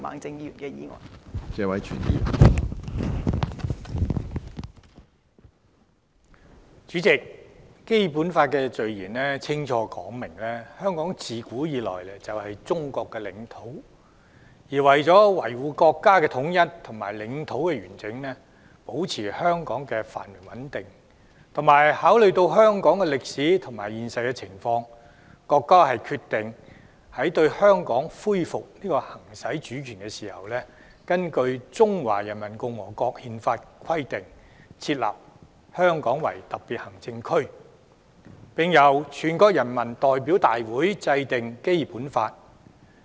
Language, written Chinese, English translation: Cantonese, 主席，《基本法》的序言清楚說明，香港自古以來就是中國的領土，而為了維護國家統一和領土完整，保持香港的繁榮和穩定，並考慮到香港的歷史和現實情況，國家決定，在對香港恢復行使主權時，根據《中華人民共和國憲法》的規定，設立香港特別行政區，並由全國人民代表大會制定《基本法》。, President it is clearly stated in the Preamble of the Basic Law that Hong Kong has been part of the territory of China since ancient times . Upholding national unity and territorial integrity maintaining the prosperity and stability of Hong Kong and taking account of its history and realities the Peoples Republic of China has decided that upon Chinas resumption of the exercise of sovereignty over Hong Kong a Hong Kong Special Administrative Region will be established in accordance with the provisions of the Constitution of the Peoples Republic of China and the National Peoples Congress enacts the Basic Law of the Hong Kong Special Administrative Region